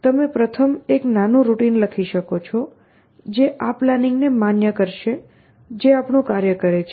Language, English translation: Gujarati, So, the first thing you want to do is to write small routine, which will validate a plan that this plan is doing my task